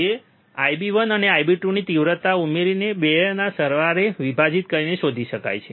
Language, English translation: Gujarati, Which is which can be found by adding the magnitudes of I B one and I B 2 and dividing by sum of 2